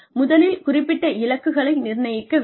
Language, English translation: Tamil, First, assign specific goals